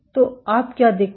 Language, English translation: Hindi, So, what you see